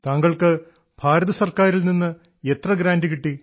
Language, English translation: Malayalam, So how much grant did you get from the Government of India